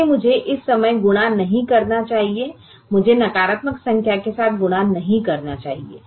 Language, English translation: Hindi, i should not multiply with the negative number